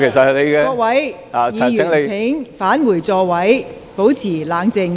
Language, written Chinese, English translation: Cantonese, 請各位議員返回座位，保持冷靜。, Will Members please return to their seats and keep calm